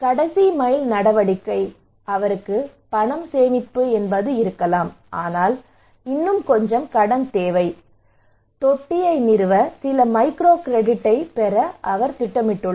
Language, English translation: Tamil, Last mile action maybe he has money savings, but still he needs some loan, can I get some microcredit to install the tank right